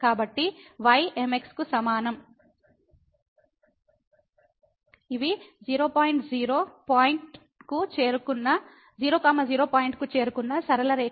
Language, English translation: Telugu, So, is equal to these are the straight lines approaching to point